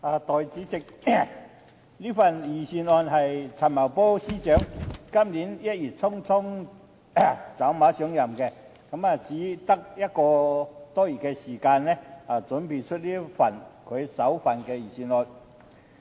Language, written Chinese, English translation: Cantonese, 代理主席，這份財政預算案是陳茂波司長今年1月匆匆走馬上任後，用只有1個多月時間準備的首份預算案。, Deputy President this is the first Budget prepared by Financial Secretary Paul CHAN in just one - odd month after taking office in haste in January this year